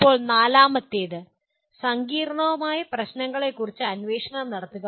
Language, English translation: Malayalam, Now fourth one, conduct investigations of complex problems